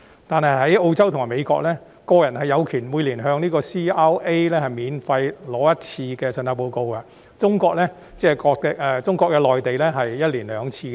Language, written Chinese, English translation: Cantonese, 但是，在澳洲和美國，個人有權每年向 CRA 免費索取信貸報告一次，而中國內地更是每年兩次。, However in Australia and the United States an individual is entitled to obtain one free credit report from CRAs every year; in the Mainland of China an individual is even entitled to two free reports per year